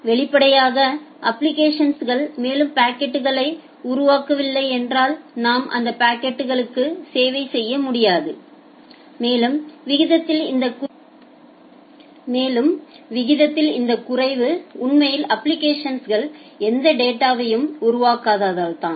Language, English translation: Tamil, Obviously, if the application is not generating any more packets, we will not be able to serve those packets and this dips in the rate are actually because the application is not generating any further data